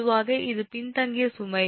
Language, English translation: Tamil, ah, generally it is a lagging load